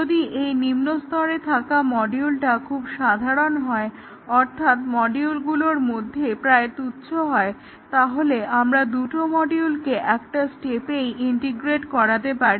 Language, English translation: Bengali, And if the subordinate module is very simple, almost trivial in module then we might even take two modules and one step